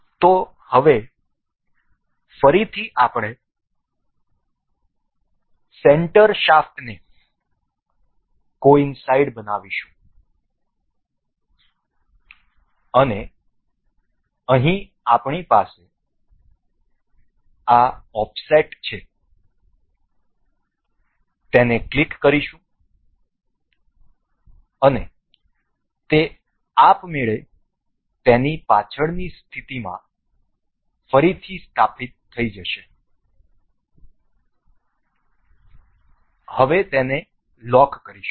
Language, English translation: Gujarati, So, now, again we will coincide the center shaft and here we have this offset will click and it will automatically restore to its previous position and lock that